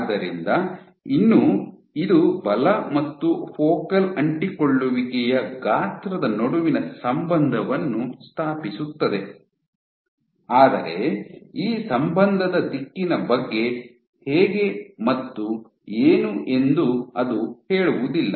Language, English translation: Kannada, So, still this establishes an association between force and focal adhesion size, but it does not say how what is the directionality of this association